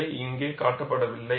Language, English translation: Tamil, That is mentioned here